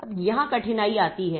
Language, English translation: Hindi, Now here comes the difficulty